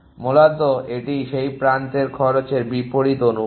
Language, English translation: Bengali, Basically it is inversely proportion to cost of that edge